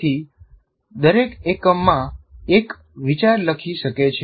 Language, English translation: Gujarati, So one can write one idea in each one